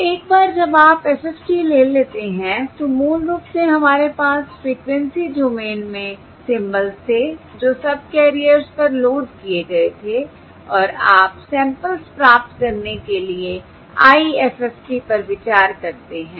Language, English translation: Hindi, So, once you take the FFT so basically, we had the symbols in the frequency domain which were loaded on to the subcarriers and you consider the IFFT to get the samples